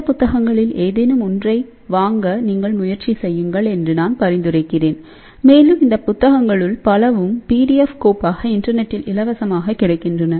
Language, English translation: Tamil, So, you can look at thing and I strongly recommend that you please try to buy any one of these books and many of these books are also available as a pdf file for free from internet